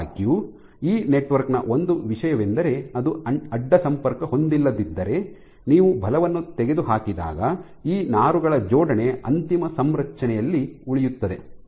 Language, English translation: Kannada, However, one of the things about this network is if it was not cross linked, if it was not cross linked when you remove the force the alignment of these fibers remains in the final configuration